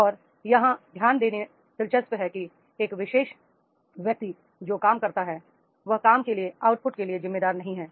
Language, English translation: Hindi, And here is interesting to note that is a particular job is the person who is working that job only is not responsible for the output